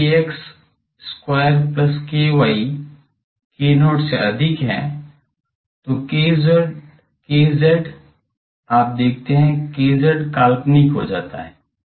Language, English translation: Hindi, If k x square plus k y greater than k not, then k z, you see k z it becomes imaginary